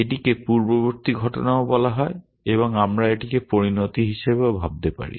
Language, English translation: Bengali, This is also called the antecedents and we can think of this as a consequent